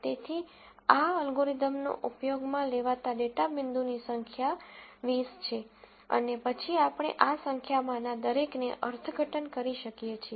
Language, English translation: Gujarati, So, the number of data points that were used in this algorithm are 20 and then we could interpret each one of these numbers